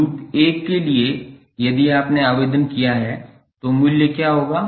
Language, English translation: Hindi, For loop 1 if you applied what will be the value